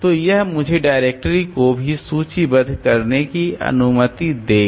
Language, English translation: Hindi, So, we can have this directory listing like that